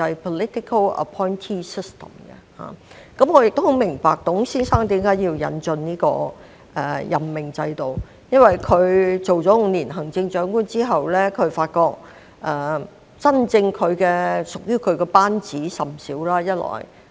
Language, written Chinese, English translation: Cantonese, 我亦明白董先生為何要引進這個任命制度，因為他擔任了近5年行政長官後，發覺真正屬於他的班子甚少。, I also understand why Mr TUNG had to introduce this political appointees system . It was because after being the Chief Executive for nearly five years he found that there were only a handful of trusted persons in his governing team